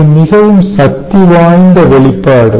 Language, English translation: Tamil, ok, so this is a very powerful expression